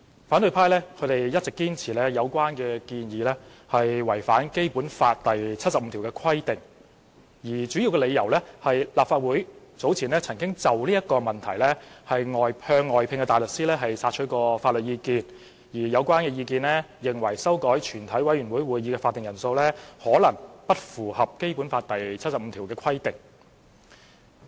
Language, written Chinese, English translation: Cantonese, 反對派一直堅持有關建議違反《基本法》第七十五條的規定，主要的理由是立法會早前曾經就此問題向外聘大律師索取法律意見，而有關意見皆認為修改全委會會議法定人數，可能不符合《基本法》第七十五條的規定。, The opposition camp has all along insisted that the proposal contravenes Article 75 of the Basic Law . Their main reason is that according to the legal opinions from outside counsel obtained by the Legislative Council earlier the amendment of the quorum of a committee of the whole Council may not be in compliance with Article 75 of the Basic Law